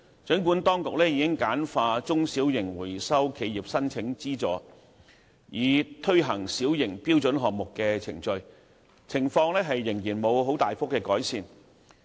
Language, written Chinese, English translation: Cantonese, 儘管當局已簡化中小型回收企業申請資助，以推行小型標準項目的程序，情況仍然沒有大幅改善。, Although the authorities have streamlined the procedure for the application for subsidies by small and medium - sized recycling enterprises for the implementation of small - scale standard projects the situation has not significantly improved